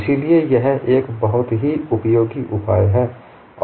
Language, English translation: Hindi, So it is a very useful solution